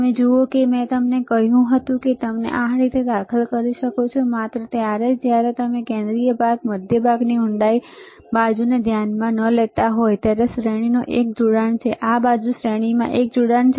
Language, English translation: Gujarati, You see I told you that you can insert it like this, only when you are not considering the central portion centre portion depth side is one connection in series this side is one connection in series